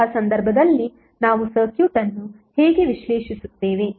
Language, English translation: Kannada, In that case how we will analyze the circuit